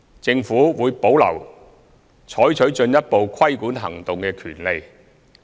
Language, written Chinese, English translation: Cantonese, 政府會保留採取進一步規管行動的權利。, The Government reserves the right to take further regulatory actions